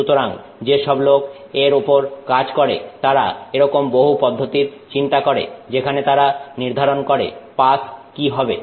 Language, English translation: Bengali, So, people who work in this have come up with a series of such processes where they define what is a pass